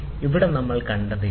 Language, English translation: Malayalam, So, this is what we saw here